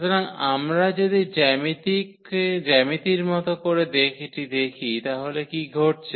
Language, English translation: Bengali, So, if we look at this geometrically what is happening